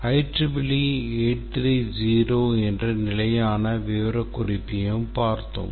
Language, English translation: Tamil, We looked at the standard specification template that is IEEE 830